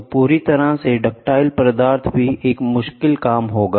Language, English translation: Hindi, So, completely ductile material also will be a difficult task